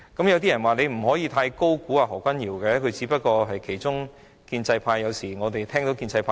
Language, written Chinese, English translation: Cantonese, 有些人說不可以太高估何君堯議員，他只不過是建制派的其中一員。, Some people say that we should not overestimate Dr Junius HO for he is only a member of the pro - establishment camp